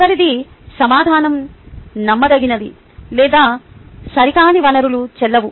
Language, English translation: Telugu, the last one, the information is unreliable and or are inaccurate